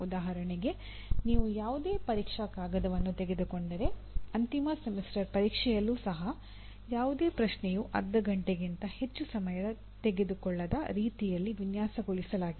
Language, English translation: Kannada, For example if you take any examination paper even in the end semester examination, you normally, it is designed in such a way no question should take more than half an hour